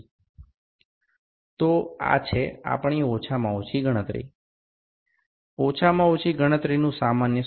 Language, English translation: Gujarati, So, this is our least count, the formula for the least count in general